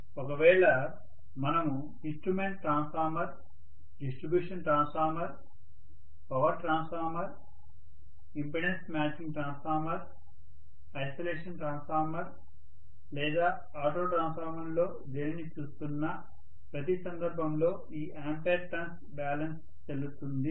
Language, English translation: Telugu, Whether we are looking at instrument transformer, distribution transformer, power transformer, impedance matching transformer, isolation transformer or auto transformer in every case this ampere turn balance is valid, right